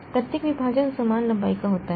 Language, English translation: Hindi, Each partition is of same length